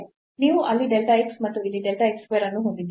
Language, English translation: Kannada, So, what will happen you have delta x there and delta x square here